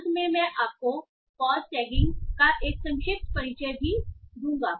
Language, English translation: Hindi, Towards the end I will also give you a brief introduction to pause tagging